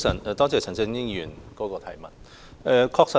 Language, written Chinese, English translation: Cantonese, 多謝陳振英議員提出質詢。, I thank Mr CHAN Chun - ying for his question